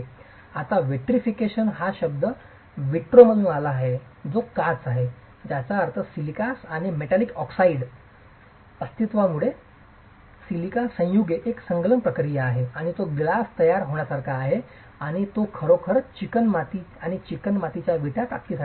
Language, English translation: Marathi, Now the word vitrification comes from vitro which is glass which means because of the presence of silica's and the presence of metallic oxides there's a fusion process of the silica compounds and it's like formation of glass and that's really what gives strength to clay to the clay bricks